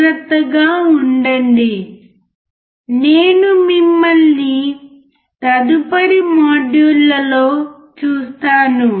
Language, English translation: Telugu, Take care, and I will see you in next module